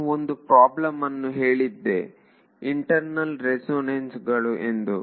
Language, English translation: Kannada, I mentioned one problem which is called internal resonances